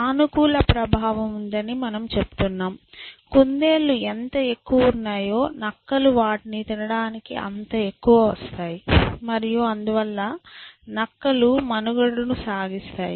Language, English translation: Telugu, We say that there is a positive influence, beside the more the rabbits are there out there, the more the foxes will get to eat them and therefore the foxes will survive essentially